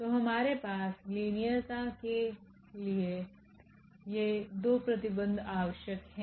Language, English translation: Hindi, So, we have these 2 conditions required for the linearity